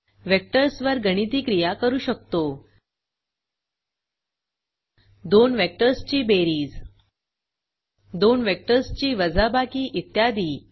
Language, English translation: Marathi, Perform mathematical operations on Vectors such as addition,subtraction and multiplication